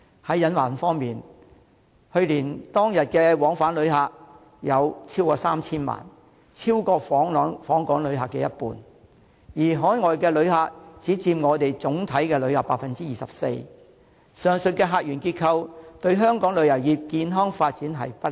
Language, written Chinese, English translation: Cantonese, 在隱患方面，去年當日往返旅客超過 3,000 萬人，超過訪港旅客的一半；而海外旅客只佔總體旅客的 24%， 上述客源結構對香港旅遊業的健康發展不利。, With regard to the pitfalls last year there were over 30 million same - day visitor arrivals accounting for more than 50 % of the total number of visitors while overseas visitors accounted for only 24 % of the overall visitor arrivals . This structure of visitor sources is unfavourable to the healthy development of the tourism industry in Hong Kong